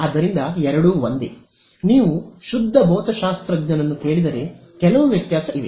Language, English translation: Kannada, So, one and the same thing although; if you ask a pure physicist then there are some